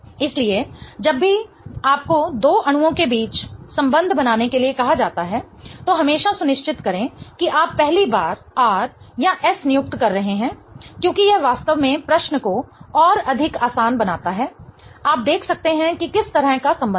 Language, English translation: Hindi, So, whenever you are asked to come up with a relationship between two molecules, always make sure that you are first assigning RRS because that really makes the question much more easier